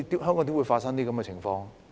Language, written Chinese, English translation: Cantonese, 香港怎麼會發生這種情況？, How come such a thing could happen in Hong Kong?